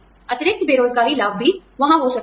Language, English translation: Hindi, Supplemental unemployment benefits also, can be there